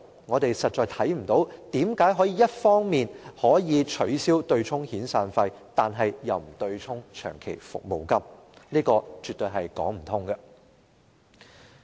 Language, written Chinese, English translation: Cantonese, 我們實在看不到有任何理由可以一方面取消對沖遣散費，但卻不取消對沖長期服務金，這樣絕對說不通。, We really see no reason why the offsetting of severance payments can be abolished on the one hand while the offsetting of long service payments is retained on the other . This absolutely does not hold water